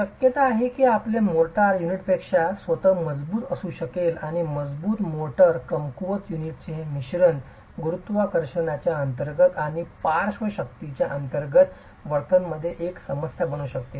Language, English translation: Marathi, Chances are that your motor may be stronger than the unit itself and this combination of strong motor weak unit can be a problem in the behavior under gravity itself and under lateral forces